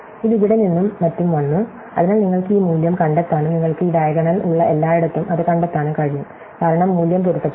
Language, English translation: Malayalam, So, this is came from here and so on, so you can trace out this value and everywhere where you have this diagonal, it was there, because the value is matched